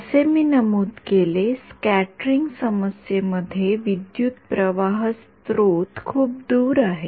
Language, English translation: Marathi, As I mentioned in the scattering problem, the current source is far away